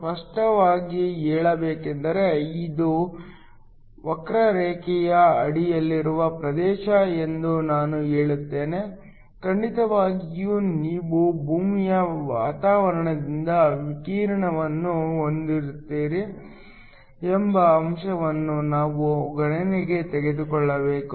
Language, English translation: Kannada, Just to be clear, I will say this is area under the curve, of course we should also take into account the fact that you have scattering of radiation by the earth’s atmosphere